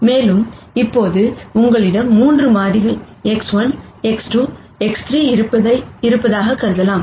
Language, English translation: Tamil, So, let us start with this point X 1 and then X 2